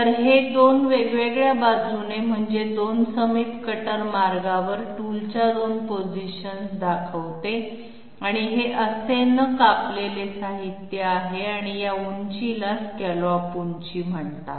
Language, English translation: Marathi, So this shows two positions of the tool along two different I mean two adjacent cutter paths and this is the material which is leftover uncut and this height is called as scallop height